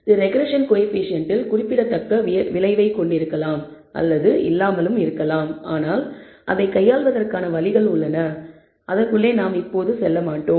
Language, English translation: Tamil, It may not have it may or may not have a significant effect on the regression coefficient, but there are ways of dealing with it which I will not go into